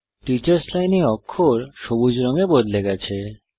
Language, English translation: Bengali, The characters in the Teachers Line have changed to green